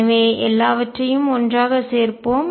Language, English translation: Tamil, So, let us collect everything together